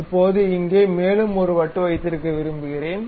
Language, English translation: Tamil, Now, we would like to have one more disc here